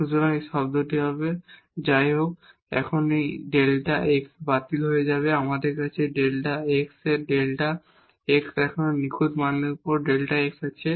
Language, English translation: Bengali, So, this will be this term and now so, this delta x will get cancelled we have delta x over more absolute value of delta x